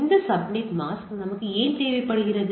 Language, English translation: Tamil, Why we require this subnet mask